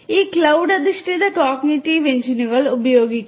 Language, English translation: Malayalam, This cloud based cognitive engines are being used